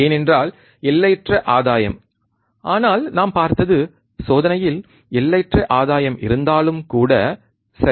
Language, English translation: Tamil, Because infinite gain, but what we saw, right in experiment is that, even there is infinite gain, right